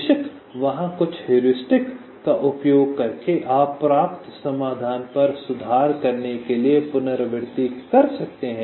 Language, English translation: Hindi, and of course there are some heuristics using which you can iterate to improve upon the solution obtained